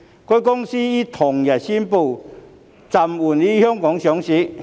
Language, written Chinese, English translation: Cantonese, 該公司於同日宣布暫緩於香港上市。, On the same day the company announced the suspension of its listing in Hong Kong